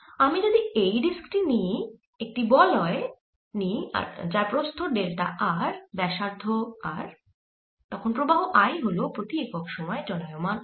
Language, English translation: Bengali, so if i look at this disc, take a ring of thickness delta r, radius r then the current i is the charge passing per unit time